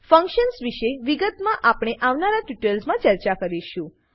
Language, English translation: Gujarati, We will discuss about functions in detail, in later tutorials